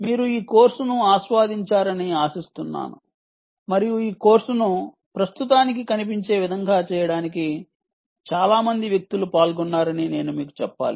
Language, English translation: Telugu, hope you enjoyed this course and i must tell you that a number of ah people were involved in making this course the way it looks at the moment